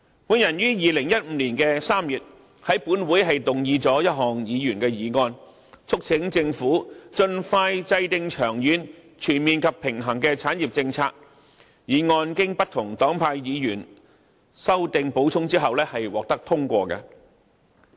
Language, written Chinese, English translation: Cantonese, 我於2015年3月在本會動議一項議員議案，促請政府盡快制訂長遠、全面及平衡的產業政策，並經不同黨派議員修訂和補充後獲得通過。, I have moved a Members motion in this Council in March 2015 to urge the Government to expeditiously formulate a long - term comprehensive and balanced industrial policy and the motion was passed with amendments and additions proposed by Members from different political parties